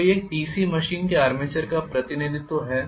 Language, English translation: Hindi, So, this is the representation of the armature of a DC machine